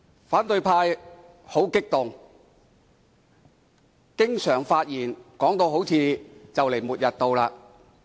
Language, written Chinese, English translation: Cantonese, 反對派十分激動，經常在發言時把修改《議事規則》說成末日來臨般。, Members from the opposition camp are very agitated and often describe in their speeches the amendment of the Rules of Procedure RoP as the doomsday